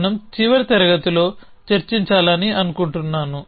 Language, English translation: Telugu, so as we I think discuss in the last class